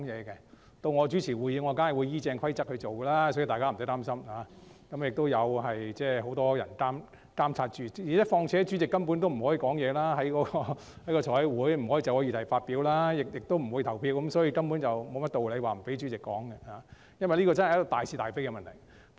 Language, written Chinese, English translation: Cantonese, 當由我主持會議時，我必定會依照規則辦事，所以大家不用擔心，而且也有很多人在監察，況且財務委員會主席在委員會會議上根本不可以就議題發表意見，亦不會投票，所以根本沒有道理不讓主席說話，這真的是大是大非的問題。, When presiding over a meeting I certainly abide by the rules so worries are uncalled - for not to mention that many people are monitoring the process . Moreover the Finance Committee Chairman can neither express his views on the subject matter nor cast any vote whatsoever at a committee meeting so there is no reason at all not to let the Chairman speak . This is truly a fundamental matter of right and wrong